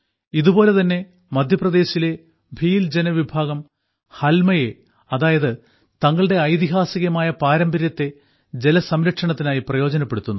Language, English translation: Malayalam, Similarly, the Bhil tribe of Madhya Pradesh used their historical tradition "Halma" for water conservation